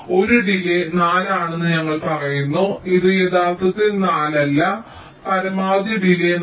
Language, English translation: Malayalam, we say a delay is four, which means this is not actually four